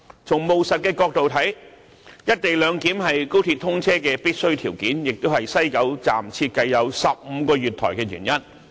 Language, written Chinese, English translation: Cantonese, 從務實的角度看，"一地兩檢"是高鐵通車的必需條件，亦是西九站設計有15個月台的原因。, Pragmatically the co - location arrangement is a requisite for the commissioning of XRL and the reason for 15 platforms designed for the West Kowloon Station